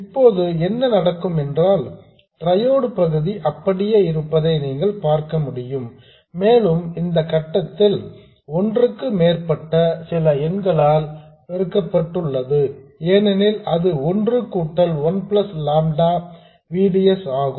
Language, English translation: Tamil, Now what happens is you can see that the triode region remains as it is and because at this point you multiply it by some number more than 1 because it is 1 plus lambda VDS